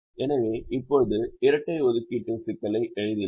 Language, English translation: Tamil, so now let us write the dual of the assignment problem